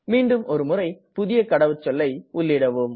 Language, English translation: Tamil, Please type the new password again